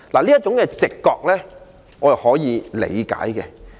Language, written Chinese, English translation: Cantonese, 這種直覺，我可以理解。, I can understand this instinctive perception